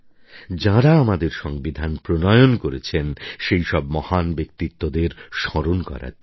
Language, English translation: Bengali, A day to remember those great personalities who drafted our Constitution